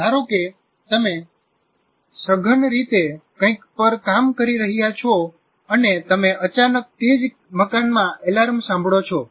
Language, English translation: Gujarati, An example is you are working on something intently and you suddenly hear an alarm in the same building